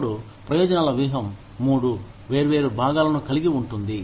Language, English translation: Telugu, Now, the benefits strategy consists of three different parts